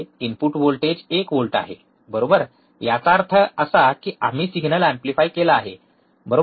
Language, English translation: Marathi, Input voltage is one volt right; that means, that we have amplified the signal, right